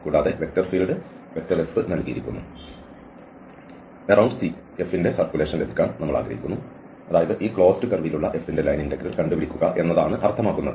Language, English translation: Malayalam, And the vector field F is given and you want to get the circulation of a F around C, that means the line integral of this F along this curve C, the closed curve C